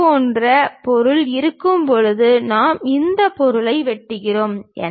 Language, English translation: Tamil, When we have such kind of object we are chopping this material